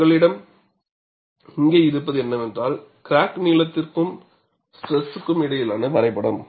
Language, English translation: Tamil, And what you have here is a graph between crack length and stress